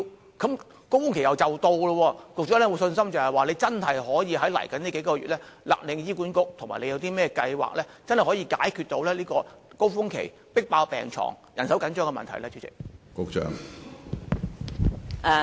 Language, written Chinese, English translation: Cantonese, 流感高峰期即將來臨，局長是否有信心可以在往後數月勒令醫管局要達標，以及有何計劃解決流感高峰期迫爆病房及人手緊張的問題呢？, At the approach of the influenza surge does the Secretary have the confidence that it can make HA meet the target in the next few months? . And does she have any plans to tackle the overloading of hospital wards and shortage of manpower during the influenza surge?